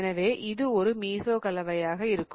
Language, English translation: Tamil, So, this one will be a mesocompound